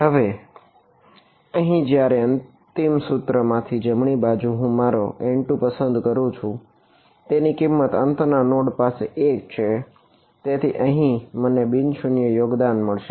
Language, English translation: Gujarati, Now the right hand side when I choose my N 2 over here in the final equation its value at the end point end point node is 1, so that is why I get a non zero contribution over here